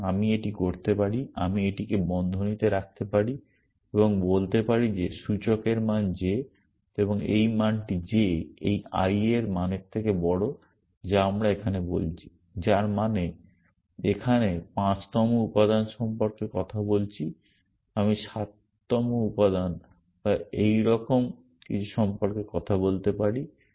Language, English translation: Bengali, So, I can do like this, I can put this in brackets and say that the index value is j and this value j is greater than this value i that we are talking about here, which means if I am talking about the 5th element here I could be talking about the 7th element or something like that